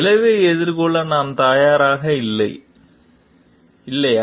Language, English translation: Tamil, This, are we ready to face the consequence or not